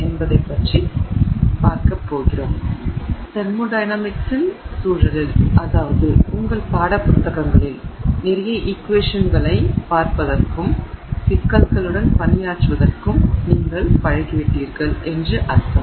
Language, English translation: Tamil, So, in the context of thermodynamics, I mean you are used to seeing a lot of equations in your textbooks and, you know, working with problems and so on